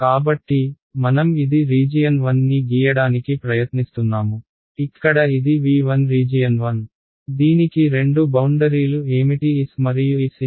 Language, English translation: Telugu, So, let us see, so this is our region 1 I am trying to draw region 1 over here this is my v 1 right region 1, what are the two boundaries of this I have S and S infinity ok